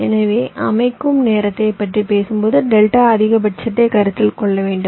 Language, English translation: Tamil, so when you talk about the setup time, we need to consider delta max